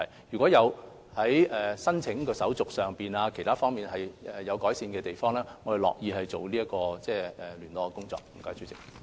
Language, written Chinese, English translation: Cantonese, 如果在申請手續或其他方面有需要改善的地方，我們樂意進行聯絡工作。, If there is room for improvement in respect of the application procedure or other matters we will be pleased to undertake the liaison work